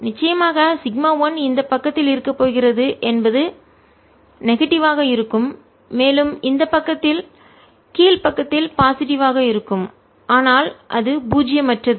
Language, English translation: Tamil, suddenly, sigma one is going to be on this side, is going to be negative, and on this side is going to be positive and lower side, but it is non zero